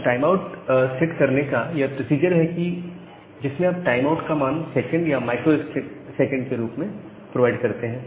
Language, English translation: Hindi, So, this is the procedure to set the timeout you provide the value in the form of second and microseconds